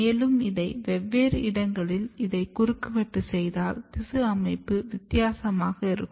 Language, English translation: Tamil, And if you cut cross section at different places the arrangement or organization of these tissues is different